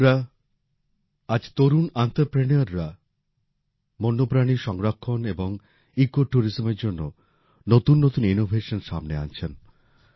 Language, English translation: Bengali, Friends, today young entrepreneurs are also working in new innovations for wildlife conservation and ecotourism